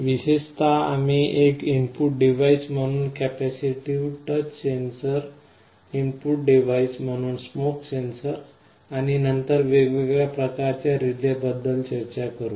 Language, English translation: Marathi, Specifically, we shall be talking about capacitive touch sensor as an input device, smoke sensor also as an input device, and then we shall be talking about different kinds of relays